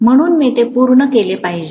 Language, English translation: Marathi, So I should complete it